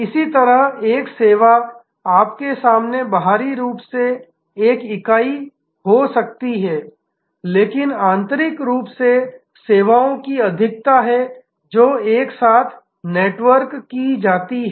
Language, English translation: Hindi, Similarly, a service may be externally one entity in front of you, but internally a plethora of services which are networked together